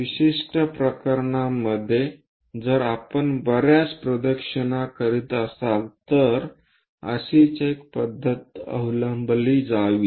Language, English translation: Marathi, In certain cases, if we are making many more revolutions, similar procedure has to be followed